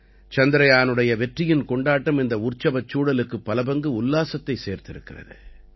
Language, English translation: Tamil, The success of Chandrayaan has enhanced this atmosphere of celebration manifold